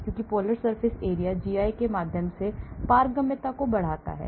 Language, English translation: Hindi, as the polar surface area increases the permeability through the GI goes down